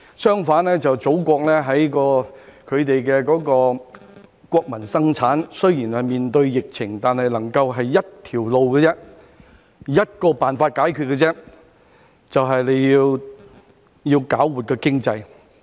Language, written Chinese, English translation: Cantonese, 相反，祖國在國民生產方面，雖然面對疫情，但決心只走向一條路，以一個辦法解決，便是要搞活經濟。, On the contrary as regards the national production of the Motherland despite facing the epidemic the country is determined to pursue one path and one solution that is to revitalize the economy as a solution to the problem